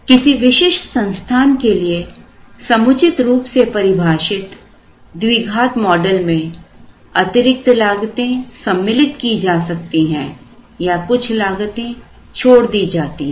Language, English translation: Hindi, A quadratic model suitably defined for a specific organization may include additional costs also or may leave out certain costs